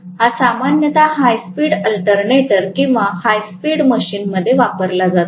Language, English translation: Marathi, So this is generally used in high speed alternator or high speed machines